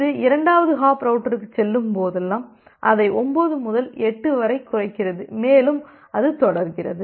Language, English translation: Tamil, Whenever it goes to the second hop router the second hop router reduces it from 9 to 8 and that way it goes on